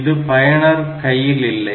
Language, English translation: Tamil, So, that is not in the hand of the user